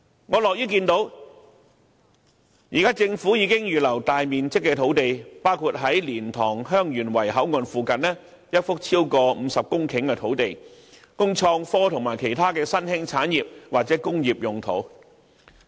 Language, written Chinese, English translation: Cantonese, 我樂於看到政府現時已預留大面積的土地，包括在蓮塘/香園圍口岸附近一幅超過50公頃的土地，供創科及其他新興產業或工業之用。, I am happy to see that the Government has now set aside sizable sites including one of over 50 hectares near the LiantangHeung Yuen Wai Boundary Control Point for use by the innovation and technology sector and other emerging or traditional industries